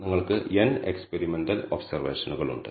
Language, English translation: Malayalam, So, there are n experimental observations you have made